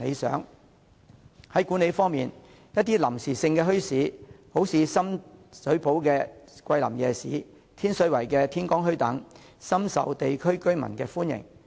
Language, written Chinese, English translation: Cantonese, 在管理方面，一些臨時墟市，例如深水埗的桂林夜市和天水圍的天光墟，都深受地區居民歡迎。, In terms of management some temporary markets eg . the Kweilin Night Market in Sham Shui Po and the Morning Bazaar in Tin Shui Wai are very popular with residents of the districts